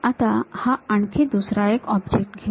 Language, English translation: Marathi, Now, let us pick another object